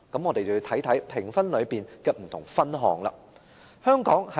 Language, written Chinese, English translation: Cantonese, 我們要看看評分中的不同分項。, We have to consider the various criteria in the assessment